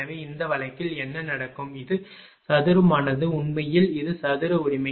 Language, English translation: Tamil, So, in that case what will happen this is square actually this is square right